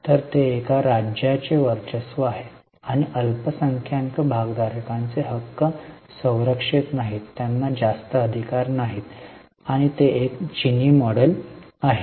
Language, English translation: Marathi, So, it's a dominance of a state and the minority shareholders' rights are not protected, they don't have much rights as such